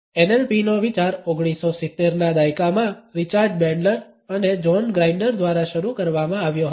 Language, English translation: Gujarati, The idea of NLP was started in 1970s by Richard Bandler and John Grinder